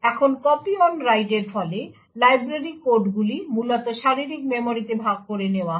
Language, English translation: Bengali, Now as a result of the copy on write, the library codes are eventually shared in the physical memory